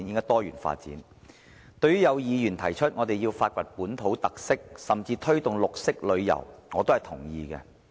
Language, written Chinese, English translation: Cantonese, 對於有議員提出，我們要發掘本土特色，甚至推動綠色旅遊，我也是同意的。, I agree to certain Members proposal on exploring local characteristics and even promoting green tourism